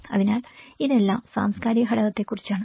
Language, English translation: Malayalam, So it all about the cultural belonging